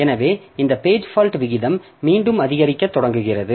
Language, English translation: Tamil, So, this page fault rate increases